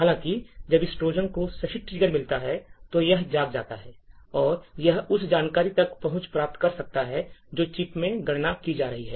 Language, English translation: Hindi, However, when this Trojan gets the right trigger, then it wakes up and it could get access to the information that is getting computed in the chip